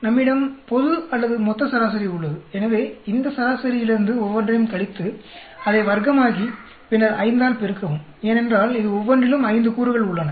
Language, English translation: Tamil, We have a global or total average; so subtract from each one of these average, square it up, then multiply by 5, because we have 5 elements in each one of this